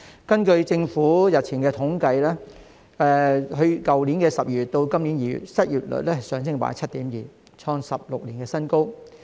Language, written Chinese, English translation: Cantonese, 根據政府日前的統計，去年12月至今年2月的失業率上升 7.2%， 創16年的新高。, According to the latest statistics released by the Government the unemployment rate in December last year to February this year increased to 7.2 % the highest in 16 years